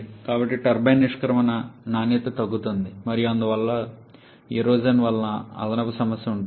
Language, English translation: Telugu, So, the turbine exit quality is reducing and therefore there will be added problem with erosion